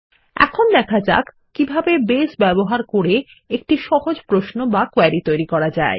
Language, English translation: Bengali, Let us see how we can create a simple query using Base